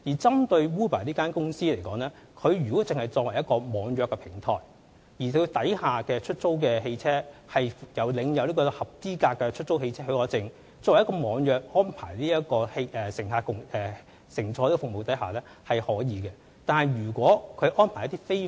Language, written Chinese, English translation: Cantonese, 針對 Uber 公司來說，如果它作為一個網約平台，而轄下的出租汽車皆領有有效的出租汽車許可證，透過網約安排為乘客提供交通服務是可以的。, Take the case of Uber as an example if all the hire cars under this e - hailing platform have obtained valid HCPs there is no problem for it to provide e - hailing service for passengers